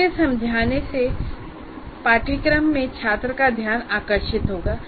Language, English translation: Hindi, We'll get the attention of the student in the course